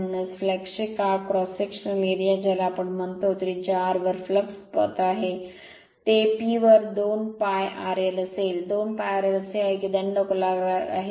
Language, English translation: Marathi, So, that is why cross sectional area of flux we call it is a flux path at radius r, it will be 2 pi r l upon P; 2 pi r l is that your so we are assume this is cylindrical